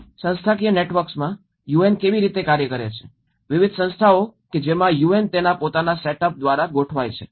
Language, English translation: Gujarati, In the institutional networks, how UN functions, what are the various bodies within which the UN is organized by its own setup